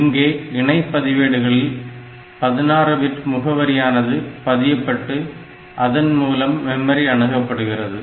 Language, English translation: Tamil, So, this uses data in a register pair as a 16 bit address to identify the memory location being accessed